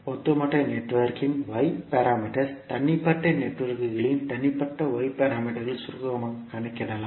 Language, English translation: Tamil, So the Y parameters of overall network can be calculated as summing the individual Y parameters of the individual networks